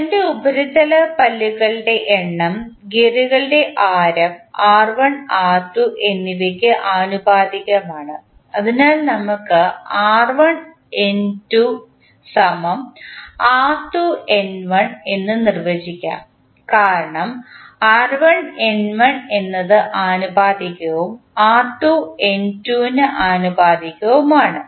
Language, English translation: Malayalam, First is the number of teeth on the surface of the gear is proportional to the radius r1 and r2 of the gears, so in that case we can define r1N2 is equal to r2N1 because r1 is proportional to N1 and r2 is proportional to N2